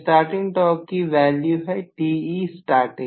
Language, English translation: Hindi, So, this is the starting torque value